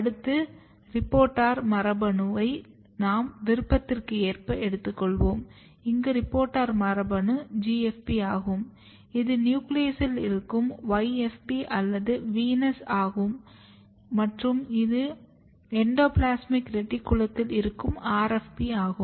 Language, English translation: Tamil, And then reporter gene you can choose as per your choice, here the reporter gene is GFP, here is the nuclear localized YFP or VENUS, here you have endoplasmic reticulum localized RFP